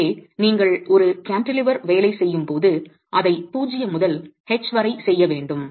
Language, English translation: Tamil, So, when you are working on a cantilever, you will have to do it from 0 to H